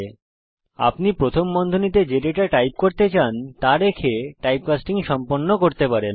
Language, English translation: Bengali, Typecasting is done by enclosing the data type you want within parenthesis